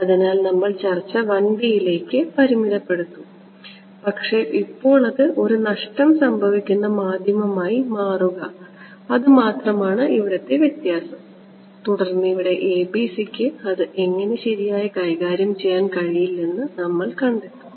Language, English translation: Malayalam, So, we will keep the discussion limited to 1D, but now change it to a lossy medium that is the only difference and here we will find that the ABC is not able to deal with it ok